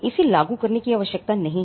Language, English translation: Hindi, No need for enforcement it is not required